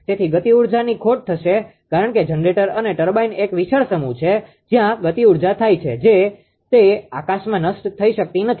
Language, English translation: Gujarati, So, there will be loss of kinetic energy because generator and ah turbine is a huge mass where that kinetic energy goes it cannot be vanished into the blue right